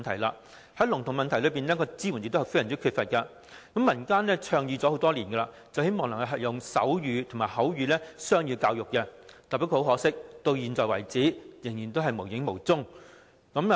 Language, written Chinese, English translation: Cantonese, 政府對聾童的支援亦相當缺乏，民間已倡議提供手語及口語雙語教育多年，不過很可惜，至今依然了無蹤影。, The support provided by the Government to deaf children is also rather inadequate . The public have proposed the provision of bilingual education in sign language and spoken language for many years; unfortunately so far this has not been put into practice